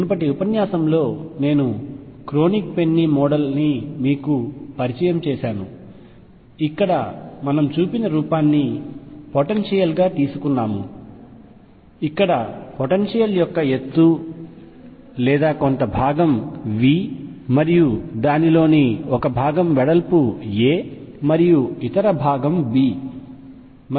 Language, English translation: Telugu, In the previous lecture I introduced the Kronig Penny model where we had taken the potential to be the form shown here, where the height of the potential or some V and width of one portion of it was a and the other portion was b